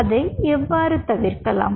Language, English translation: Tamil, how you can avoid it